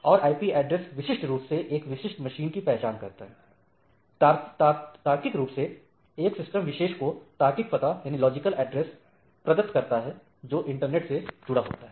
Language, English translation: Hindi, And it uniquely identifies a particular machine, logically provide a logical address to a particular systems which is connected in the internet